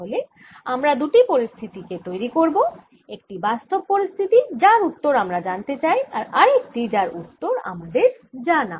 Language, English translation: Bengali, so we create two situations: one which is the real situation, the, the answer, one which for which i want to get the answer, and the other where i know the answer